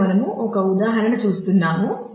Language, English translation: Telugu, So, here we are showing an example